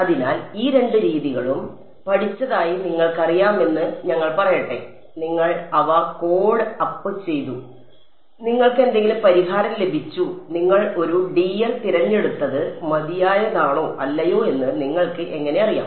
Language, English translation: Malayalam, So, let us say you have you know you studied these two methods you coded them up and you got some solution; how do you know whether you chose a dl to be fine enough or not